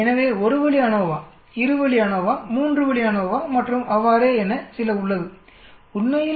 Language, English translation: Tamil, So there is something called 1 way ANOVA, 2 way ANOVA, 3 way ANOVA and so on actually